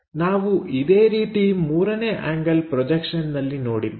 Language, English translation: Kannada, Similarly, we have looking in the 3rd angle projection